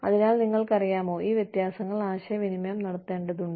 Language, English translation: Malayalam, So, you know, these differences need to be communicated